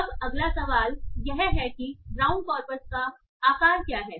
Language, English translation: Hindi, Now the next question is what is the size of the brown corpus